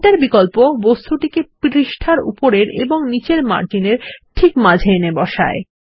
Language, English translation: Bengali, The option Centre centres the object exactly between the top and bottom margins of the page